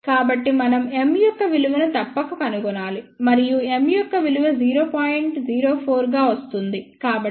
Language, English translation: Telugu, So, we must find the value of M and the value of M comes out to be 0